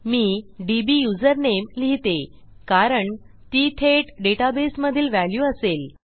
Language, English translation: Marathi, I think I will say dbusername because thats a more direct value from the database